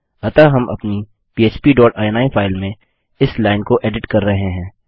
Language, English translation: Hindi, So we are editing this line inside our php dot ini file